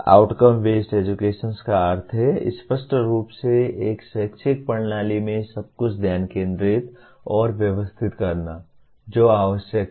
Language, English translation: Hindi, Outcome Based Education means clearly focusing and organizing everything in an educational system around what is “essential”